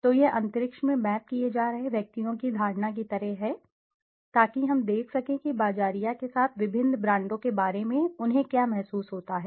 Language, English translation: Hindi, So, it is something like the perception of individuals being mapped in the space so that we can see what do they feel about the various brands with the marketer wants to know about